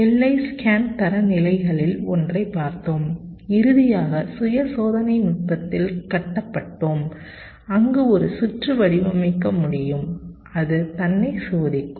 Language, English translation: Tamil, we looked at one of the standards, the boundary scan standards, and finally built in self test technique where we can design a circuit such that it can test itself